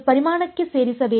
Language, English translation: Kannada, They have to belong to volume